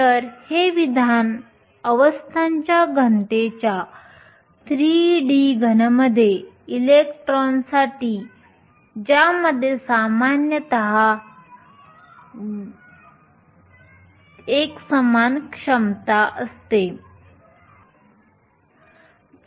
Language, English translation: Marathi, So, this is the expression for the density of states for electrons in a 3D solid with a uniform potential typically in a solid